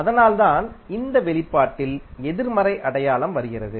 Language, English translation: Tamil, That is why the negative sign is coming in this expression